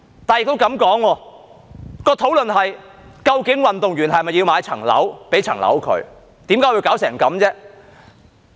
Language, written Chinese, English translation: Cantonese, 如果這麼說，討論的是究竟運動員是否要買樓，給他一間房屋？, If that is the case the discussion will be whether the athletes need to buy a property or be given a property